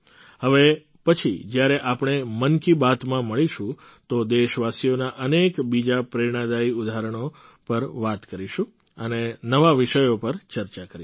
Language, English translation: Gujarati, Next time when we meet in Mann Ki Baat, we will talk about many more inspiring examples of countrymen and discuss new topics